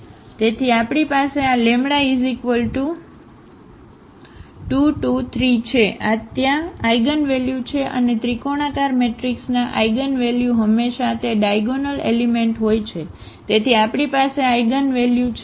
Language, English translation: Gujarati, So, we have this 2 2 3 there these are the eigenvalues and the eigenvalues of a triangular matrix are always it is a diagonal element; so, we have these eigenvalues 2 2 3